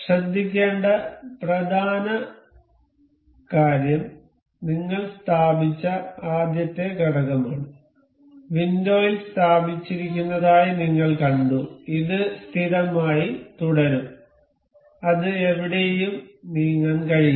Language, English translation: Malayalam, The important thing to note is the first component that we have been placed, we have see placed in the window this will remain fixed and it cannot move anywhere